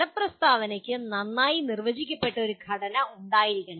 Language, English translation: Malayalam, And the outcome statement should have a well defined structure